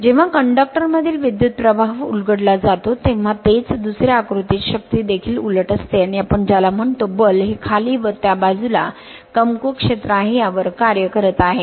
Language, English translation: Marathi, When the current in the conductor is reversed that is the second diagram right the force is also reverse and it is your what you call force is acting on the downwards that is weaker field this side and here also right